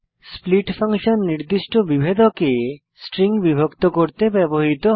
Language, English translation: Bengali, split function is used to divide a string at a specified delimiter